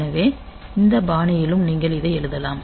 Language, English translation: Tamil, So, you can write the same thing in this fashion also